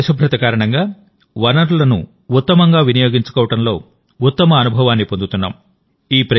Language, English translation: Telugu, Due to this cleanliness in itself, we are getting the best experience of optimum utilizations of our resources